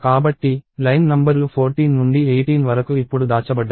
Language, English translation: Telugu, So, line numbers 14 up to 18 are now hidden